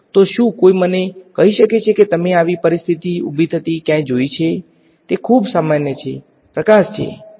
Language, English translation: Gujarati, So, can anyone tell me where you have seen such a situation arise; it is very common light right